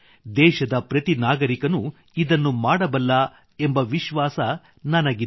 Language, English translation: Kannada, And I do believe that every citizen of the country can do this